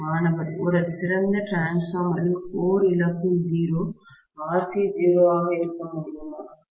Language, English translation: Tamil, In an ideal transformer, the core loss is 0, can RC be 0